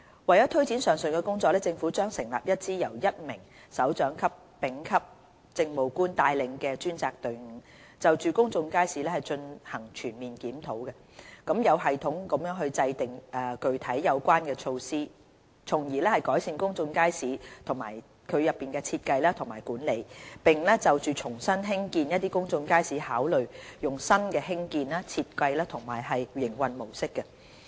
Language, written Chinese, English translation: Cantonese, 為推展上述的工作，政府將成立一支由1名首長級丙級政務官帶領的專責隊伍，就公眾街市進行全面檢討，有系統地制訂具體有關的措施，從而改善公眾街市的設計和管理，並就重新興建公眾街市考慮採用新的興建、設計和營運模式。, To take forward the above work the Government will form a dedicated team to be led by a directorate officer at the rank of Administrative Officer Staff Grade C to conduct a comprehensive review of public markets and formulate concrete measures in a systematic manner to improve the design and management of public markets and to consider adopting new approaches to their construction design and modus operandi when resuming the construction of new public markets